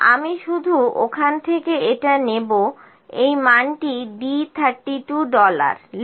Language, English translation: Bengali, I will just pick it from there this value d 32 dollar enter